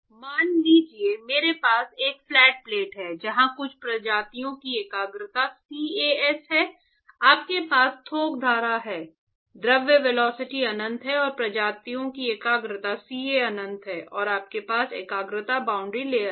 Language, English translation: Hindi, So, suppose I have a flat plate where concentration of some species is CAS and you have a bulk stream, the fluid velocity is uinfinity and the concentration of the species is c a infinity and you have a concentration boundary layer